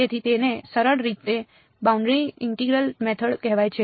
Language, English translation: Gujarati, So, its simply called the boundary integral method ok